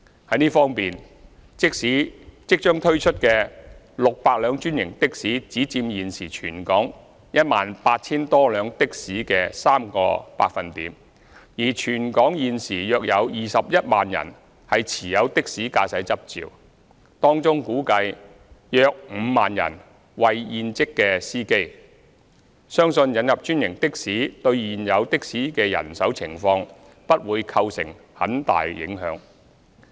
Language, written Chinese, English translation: Cantonese, 在這方面，即將推出的600輛專營的士只佔現時全港 18,000 多輛的士的約 3%， 而全港現時有約21萬人持有的士駕駛執照，當中估計約5萬人為現職司機，相信引入專營的士對現有的士的人手情況不會構成很大影響。, In this respect the 600 franchised taxis to be introduced will only account for about 3 % of the present total number of taxis in Hong Kong which is some 18 000 . There are currently about 210 000 taxi driving licence holders in the territory and it is estimated that about 50 000 of them are in - service taxi drivers . We believe the introduction of franchised taxis will not have any great impact on the existing manpower situation in the taxi trade